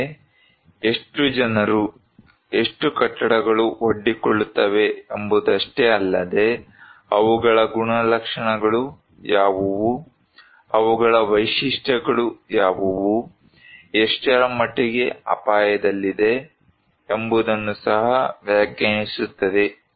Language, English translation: Kannada, Like, it is not only that how many people, how many buildings are exposed, but what are their characteristics, what are their features also define that what extent they are potentially at risk